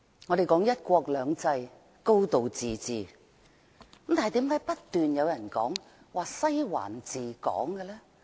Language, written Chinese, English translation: Cantonese, 我們說"一國兩制"、"高度自治"，但為甚麼不斷有人說"西環治港"？, While we are talking about one country two systems and a high degree of autonomy why do some people keep talking about Western District ruling Hong Kong?